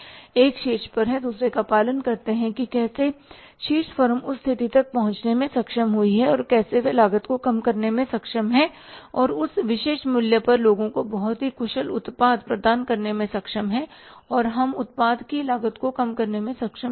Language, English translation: Hindi, One is at the top then others are followers, so how the top firm is able to reach up to that position that how they are able to reduce the cost and to provide a very efficient product to the people at that particular price and we are not able to reduce the cost of the product